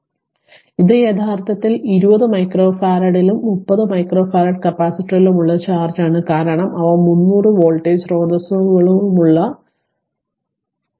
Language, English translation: Malayalam, now this ah actually it will be is this is the charge on 20 micro farad and 30 micro farad capacitor because they are in series with 300 voltage source right